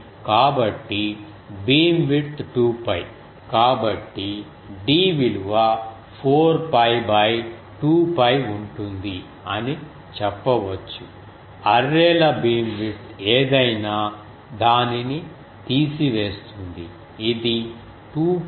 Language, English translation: Telugu, So, beamwidth is 2 pi so we can say d will be 4 pi by 2 pi in to whatever is the arrays beamwidth remove it, say this will become 2